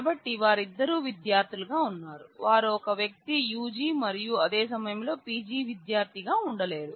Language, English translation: Telugu, So, there are both of them are students naturally they are disjoint a person cannot be UG as well as PG student at the same time